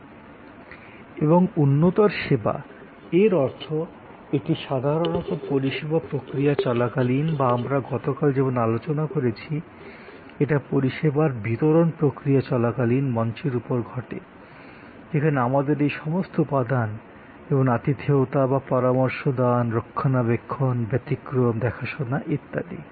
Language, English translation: Bengali, And enhancing services; that means it happens usually during the process of service or as we discussed yesterday, it happens on stage during the service delivery process, where we have all these elements like hospitality or consultation, safe keeping, exception handling and so on